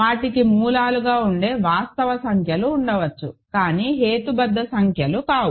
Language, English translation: Telugu, They can there are real numbers which are roots of this, but not rational numbers